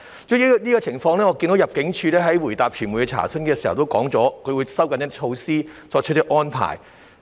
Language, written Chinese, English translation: Cantonese, 主席，關於這個情況，我看到入境處在回答傳媒查詢時表示，會收緊措施及作出一些安排。, President I notice that in its reply to media enquiry regarding this situation ImmD said that it would tighten the measure and make some arrangements